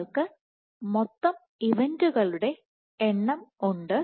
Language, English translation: Malayalam, So, you have the total number of events